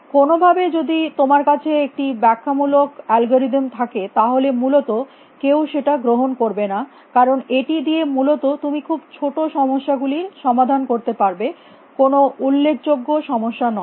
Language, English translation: Bengali, Somehow, because you if you have an exponentially time algorithm nobody is going to buy it is essentially you can only solve very small problems with it not problems of significance size